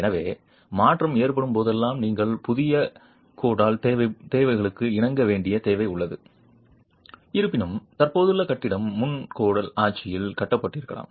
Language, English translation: Tamil, So whenever there is alteration, there is a requirement that you comply with the new codal requirements, though the existing building might have been constructed in the pre cordal regime